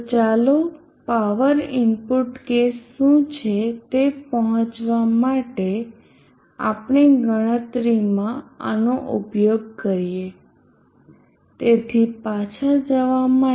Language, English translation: Gujarati, 156 m so let us use this in our calculation to arrive at what is power input case, so going back to the